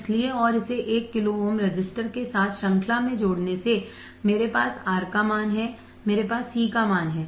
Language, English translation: Hindi, So and connecting this in series with one kilo ohm resistor I have a value of R, I have value of C